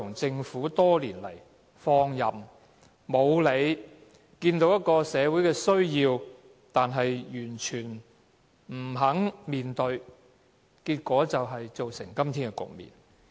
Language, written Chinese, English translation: Cantonese, 政府多年來採取放任態度，即使看到社會需要，卻完全不肯面對，結果造成今天的局面。, Over the years the Government has adopted a laissez - faire attitude and paid no regard to the apparent social needs thus giving rise to the present situation